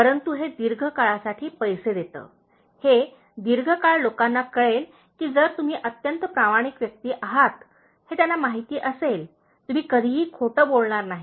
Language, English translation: Marathi, But it pays in the long run, the long run people will know that, if you are a very honest person they know that, you will never tell a lie